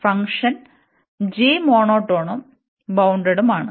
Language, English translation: Malayalam, And the function g is monotone and bounded